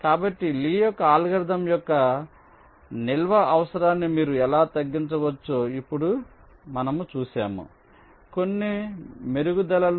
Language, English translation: Telugu, so now we see that how you can reduce the storage requirement of the lees algorithm, show some improvements